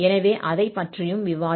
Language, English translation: Tamil, So, we will discuss that also